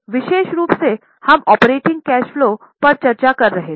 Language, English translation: Hindi, Now particularly we were discussing what is operating cash flow